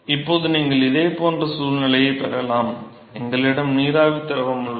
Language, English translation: Tamil, So, now, you can have a similar situation, we have vapor liquid vapor liquid